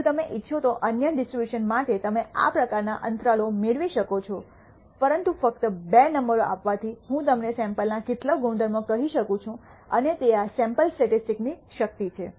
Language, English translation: Gujarati, For other distributions you can derive these kind of intervals if you wish, but just giving two numbers allows me to tell you some properties of the sample and that is the power of these sample statistics